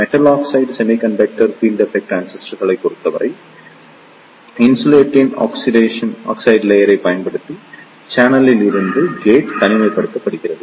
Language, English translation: Tamil, In case of Metal Oxide Semiconductor Field Effect Transistors, the gate is isolated from the channel using an insulating oxide layer